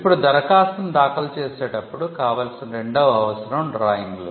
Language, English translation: Telugu, Now, the second requirement while filing an application is the requirement of drawings